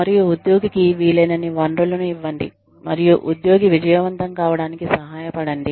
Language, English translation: Telugu, And, give the employee, as many resources as possible, and help the employee, succeed